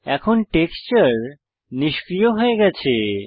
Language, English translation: Bengali, Now the texture is disabled